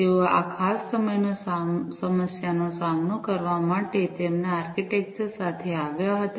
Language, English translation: Gujarati, they came up with their architecture to deal with this particular problem